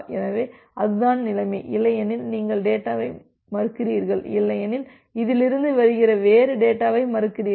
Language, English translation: Tamil, So, that is the case and otherwise you refuse the data so, otherwise you refuse the data means from this else is coming